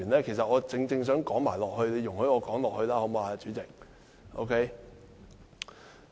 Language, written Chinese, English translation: Cantonese, 其實，我正正想說下去，你讓我說下去好嗎，主席？, Indeed I just want to continue . Can you let me continue speaking President?